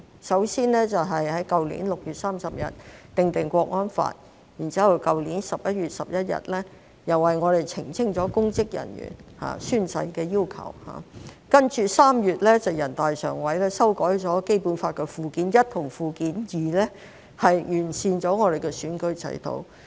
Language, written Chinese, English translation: Cantonese, 首先在去年6月30日訂立《香港國安法》，然後在去年11月11日為香港澄清了公職人員宣誓的要求，接着3月全國人大常委會修改了《基本法》附件一和附件二，完善了香港的選舉制度。, First the enactment of the Hong Kong National Security Law on 30 June last year to be followed by the clarification for Hong Kong on the requirement for public officers to take an oath on 11 November last year and the amendments to Annexes I and II to the Basic Law to improve the electoral system in Hong Kong by the Standing Committee of the National Peoples Congress in March